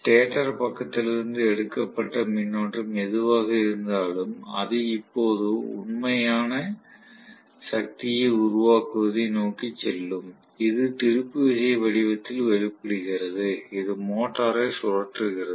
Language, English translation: Tamil, So whatever is the current drawn from the stator side only will go towards producing real power, which is in manifested in the form of torque, which is rotating the motor